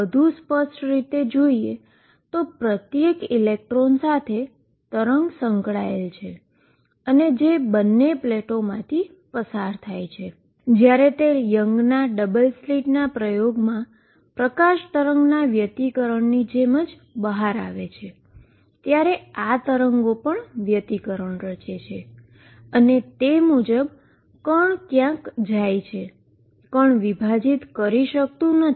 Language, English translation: Gujarati, More precisely the wave associated each electron goes through both the plates and when it comes out just like light wave interference in the double Young's double slit experiment, these waves also interfere and then accordingly particle go somewhere, particle cannot be divided